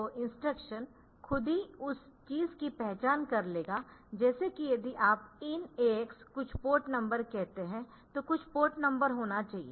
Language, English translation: Hindi, So, the instruction itself will be identifying the thing like if you say in AX some port number, some port number should be there